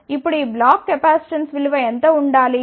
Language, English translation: Telugu, Now, what should be the value of this block capacitance